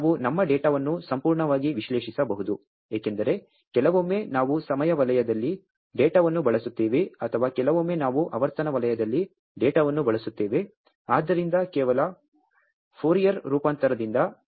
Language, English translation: Kannada, And we can analyse our data perfectly, because sometimes we use the data in the time zone or sometime we use the data in frequency zone, so just by Fourier transform